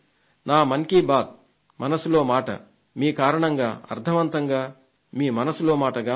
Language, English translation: Telugu, ' My 'Mann Ki Baat' has in the true sense become your 'Mann Ki Baat